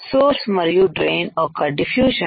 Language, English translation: Telugu, The diffusion of source and drain